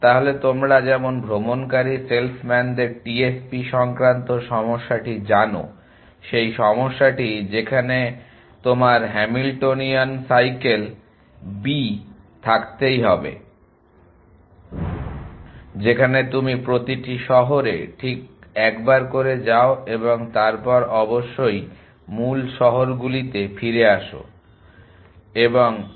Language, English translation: Bengali, So, as you know the TSP of the travelling salesmen problem the problem where you have to have Hamiltonian cycle b in which you visit every city exactly once and come back to the original cities essentially and 1